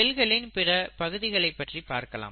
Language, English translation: Tamil, Then we look at the other parts of the cells